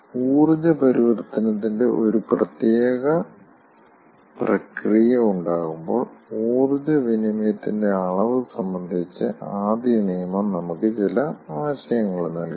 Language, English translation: Malayalam, first law gives us some idea regarding the quantity of energy exchange when, ah, there is a particular process of energy conversion